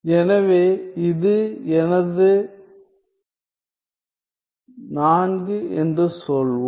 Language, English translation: Tamil, So, let us say this is my 4